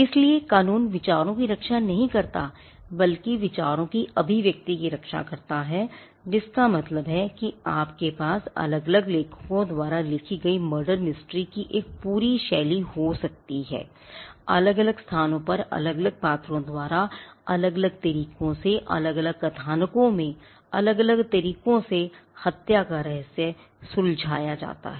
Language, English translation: Hindi, So, the law does not protect the ideas themselves rather the expression of the ideas which means you can have an entire genres of murder mysteries written by different authors setting the murder in different locations with the different characters with different plots and with different ways of solving the mystery